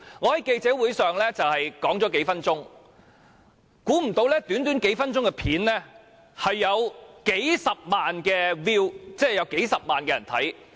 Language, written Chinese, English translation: Cantonese, 我在記者會上發言數分鐘，料不到短短數分鐘的片段竟然有數十萬人次瀏覽。, I spoke for a few minutes at the press conference and unexpectedly the short video clip lasting only a few minutes was viewed hundreds of thousands of time